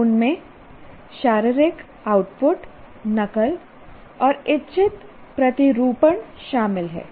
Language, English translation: Hindi, They include physical outputs, mimicry and deliberate modeling